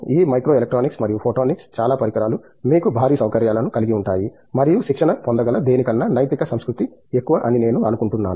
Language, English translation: Telugu, This micro electronics and photonics, the most of the instruments are you know huge facilities and I think it is more of ethical culture than anything that can be trained